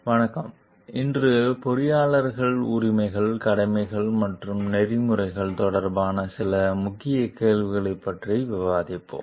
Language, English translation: Tamil, Welcome, today we will discuss some Key Questions relating to Engineers Rights, Duties and Ethics